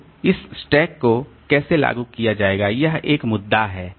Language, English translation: Hindi, So how this stack will be implemented, that is one issue